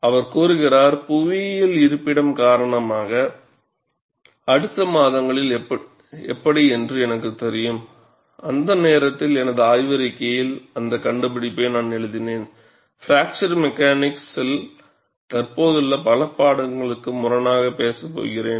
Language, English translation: Tamil, He says, because of the geographic location, I was not aware, during the ensuing months, during which I wrote up the discovery into my thesis, that I was going to contradict many of the existing teachings in fracture mechanics